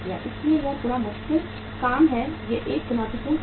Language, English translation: Hindi, So it is a bit say difficult task, is a challenging task